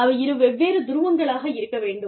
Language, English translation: Tamil, There have to be, two different poles